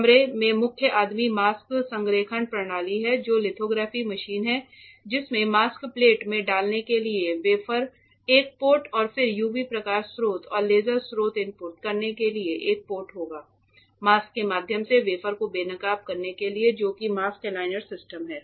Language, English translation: Hindi, The beasts in the room the main guy in the room is the mask aligner or the mask aligner system which is the lithography machine which will have a ports to input the wafer one port to put in the mask plate and then UV light source and laser source to expose the wafer through the mask that is the mask aligner system